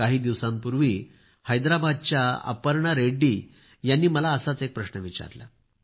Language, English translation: Marathi, A few days ago Aparna Reddy ji of Hyderabad asked me one such question